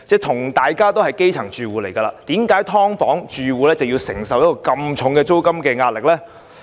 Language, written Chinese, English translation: Cantonese, 同為基層住戶，為何"劏房戶"要承受如此沉重的租金壓力呢？, While both groups are grass - roots households why are tenants of subdivided units the ones subject to such heavy rental pressure?